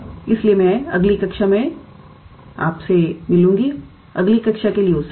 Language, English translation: Hindi, So, I look forward to your next class